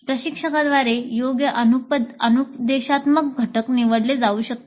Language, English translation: Marathi, Suitable instructional components can be picked up by the instructor